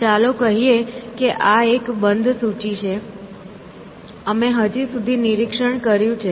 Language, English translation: Gujarati, So, let say this is, let say this is a closed list, we have inspected so far